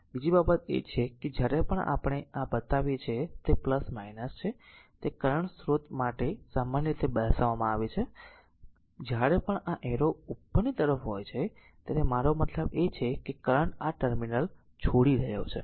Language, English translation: Gujarati, And another thing is that whenever we are showing this is plus minus it is shown right similarly for the current source whenever this arrow is upward this I mean it is; that means, that means current is leaving this terminal